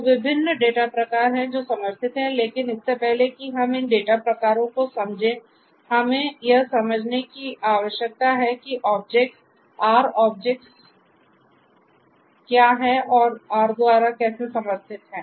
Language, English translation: Hindi, So, there are different data types that are supported, but before we understand these data types, we need to understand that there are different something called objects, R objects that are supported by R